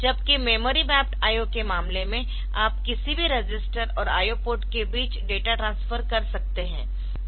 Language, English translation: Hindi, Whereas, in case of memory mapped I O, you can have data transfer between register and any register and the I O port